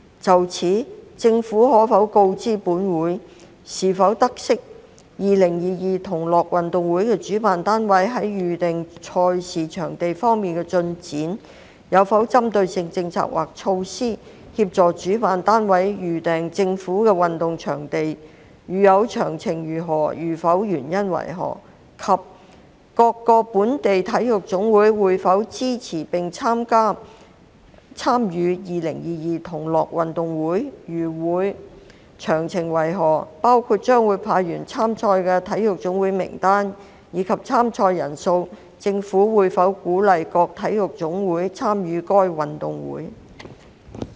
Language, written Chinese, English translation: Cantonese, 就此，政府可否告知本會，是否知悉：一2022同樂運動會的主辦單位在預訂賽事場地方面的進展；有否針對性政策或措施，協助主辦單位預訂政府的運動場地；如有，詳情為何；如否，原因為何；及二各個本地體育總會會否支持並參與2022同樂運動會；如會，詳情為何，包括將會派員參賽的體育總會名單，以及參賽人數；政府會否鼓勵各體育總會參與該運動會？, In this connection will the Government inform this Council if it knows 1 the progress of booking of event venues by the organizers of Gay Games 2022; whether it has any targeted policies or measures in place to assist the organizers in booking government sports venues; if so of the details; if not the reasons for that; and 2 whether the various local national sports associations NSAs will support and participate in Gay Games 2022; if they will of the details including a list of those NSAs which will send athletes to compete in the Games and the number of participating athletes; whether the Government will encourage the various NSAs to participate in the Games?